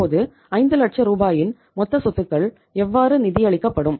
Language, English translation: Tamil, Now total assets of the 5 lakh rupees how they will be funded